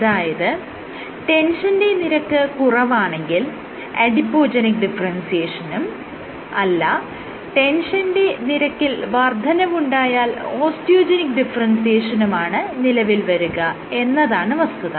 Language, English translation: Malayalam, In Adipogenic in low and tension is low you have Adipogenic differentiation, when tension is high you have Osteogenic differentiation